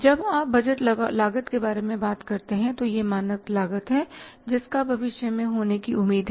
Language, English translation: Hindi, So, when you talk about the budgeted cost, it is a standard cost and that is expected to happen in future